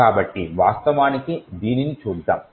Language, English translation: Telugu, So, let us actually look at it